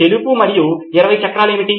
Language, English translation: Telugu, What is white and has 20 wheels